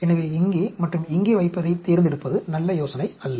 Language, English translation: Tamil, So, the selection of putting here and here is not a good idea